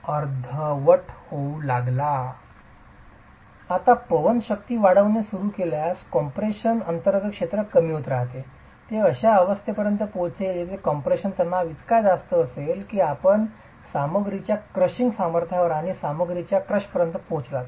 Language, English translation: Marathi, If you now continue increasing the wind forces, the area under compression keeps reducing, it will reach a stage where the compressive stresses are so high that you have reached the crushing strength of the material and the material crushes